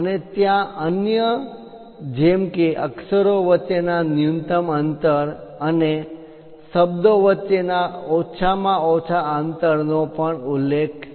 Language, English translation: Gujarati, And there are other varieties like minimum spacing of base characters, and also minimum spacing between words are also mentioned